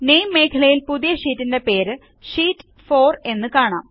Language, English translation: Malayalam, In the Name field, the name of our new sheet is s displayed as Sheet 4